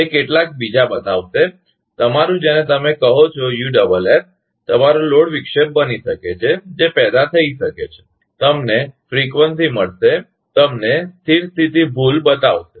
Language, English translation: Gujarati, It will show some other; your what you call USS may become your load; disturb may be generation, you will find frequency; you will show steady state error